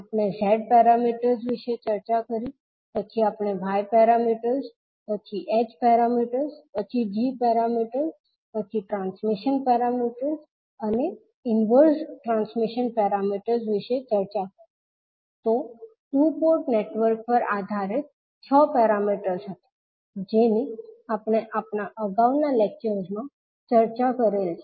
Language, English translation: Gujarati, We discussed about Z parameters, then we discussed about Y parameters, then H parameters, then G parameters, then transmission parameters and the inverse transmission parameters, so these were the 6 parameters based on two port networks we discussed in our previous lectures